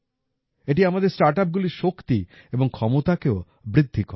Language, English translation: Bengali, Not only that, it also enhances the strength and potential of our startups